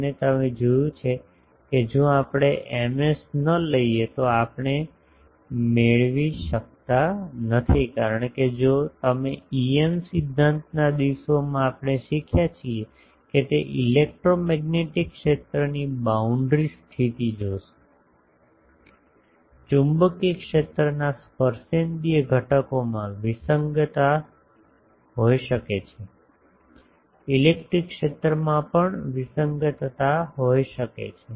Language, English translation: Gujarati, And you see that if we do not take Ms, we cannot get because in the if you look at the boundary condition of the electromagnetic field that we have learned in our EM theory days; that there can be discontinuity in the tangential component of magnetic field, there can be discontinuity in electric field also